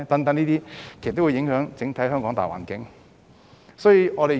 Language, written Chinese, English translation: Cantonese, 這些都會影響香港整體大環境。, All these will affect the general environment of Hong Kong